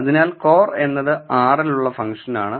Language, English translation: Malayalam, So, cor is the function in R